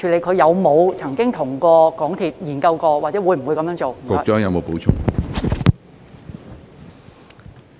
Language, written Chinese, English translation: Cantonese, 他有沒有跟港鐵公司研究過，以及會否這樣做？, Has he explored the issue with MTRCL and will he do so?